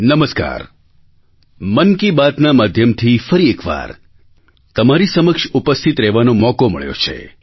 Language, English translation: Gujarati, Through 'Mann Ki Baat', I once again have been blessed with the opportunity to be facetoface with you